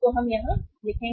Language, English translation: Hindi, We will write here